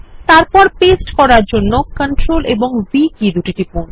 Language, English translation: Bengali, To paste, press CTRL and V keys together